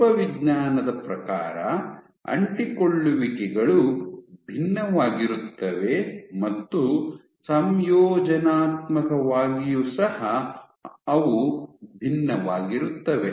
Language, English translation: Kannada, So, morphologically also the adhesions differ morphologically they differ and compositionally also they differ